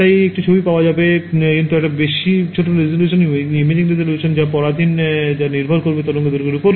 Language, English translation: Bengali, So, I will get an image, but it will be very lower resolution right the imaging resolution is dependent depends directly on the wavelength right